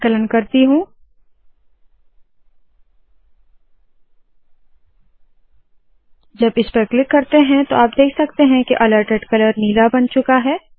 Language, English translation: Hindi, Let me compile it, when I click this you can see now that the alerted color has now become blue